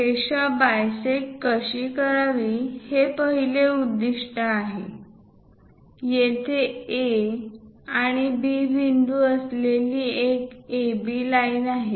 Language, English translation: Marathi, The first objective is how to bisect a line; here there is an AB line with points A and B